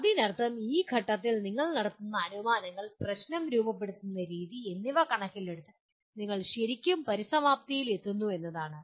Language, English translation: Malayalam, That means at this stage you are really finalizing in terms of the assumptions that you are making, the way you are formulating the problem, you reach a particular conclusion